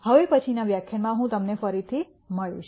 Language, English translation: Gujarati, I will see you again in the next lecture